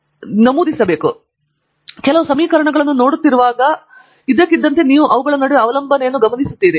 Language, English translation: Kannada, So, noting down let say, you suddenly while you are looking at some equations and you notice some dependence